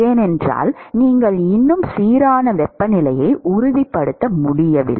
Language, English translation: Tamil, Because you still cannot ensure uniform temperature